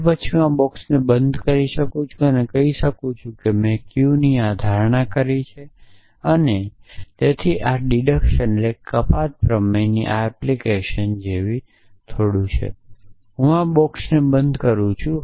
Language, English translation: Gujarati, Then, I can close this box and say I made this assumption of q and so it is a little bit like this application of this deduction theorem that I am closing this box and I am saying